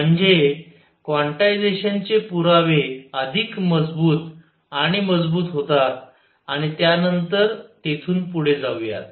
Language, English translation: Marathi, So, that the evidence for quantization becomes stronger and stronger and then will take off from there